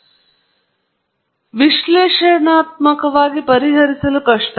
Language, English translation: Kannada, However, they are difficult to solve analytically